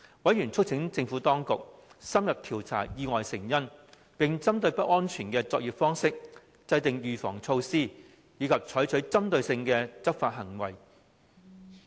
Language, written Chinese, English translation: Cantonese, 委員促請政府當局深入調查意外的成因，並針對不安全的作業方式，制訂預防措施及採取針對性的執法行動。, Members urged the Administration to conduct in - depth investigations into the causes of accidents while drawing up preventive measures against unsafe work practices and launching targeted enforcement actions